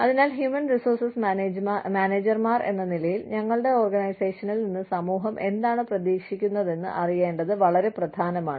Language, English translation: Malayalam, So, as human resources managers, it is very important for us, to know, what the society expects, from our organization